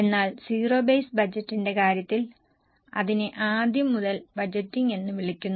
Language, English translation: Malayalam, But in case of zero base budget it is called as budgeting from scratch